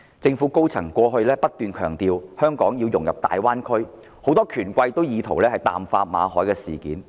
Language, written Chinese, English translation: Cantonese, 政府高層過去不斷強調香港融入大灣區的重要性。很多權貴亦意圖淡化馬凱事件。, While senior government officials have all along stressed the importance of Hong Kongs integration into the Greater Bay Area many bigwigs are also trying to downplay the Victor MALLET incident